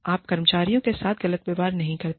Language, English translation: Hindi, You do not treat employees, unfairly